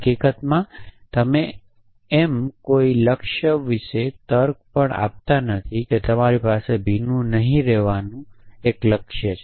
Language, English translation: Gujarati, In fact, you do not even reason about a goal saying that you have a goal of not being wet